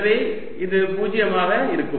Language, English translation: Tamil, so this is going to be zero